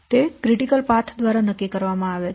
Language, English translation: Gujarati, It is determined by the current critical path